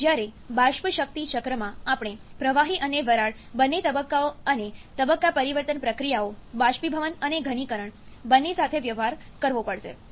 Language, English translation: Gujarati, Whereas, in vapour power cycle, we have to deal with both liquid and vapour phases and also the phase change processes, both evaporation and condensation